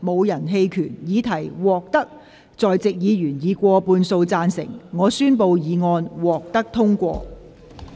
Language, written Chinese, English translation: Cantonese, 由於議題獲得在席議員以過半數贊成，她於是宣布議案獲得通過。, Since the question was agreed by a majority of the Members present she therefore declared that the motion was passed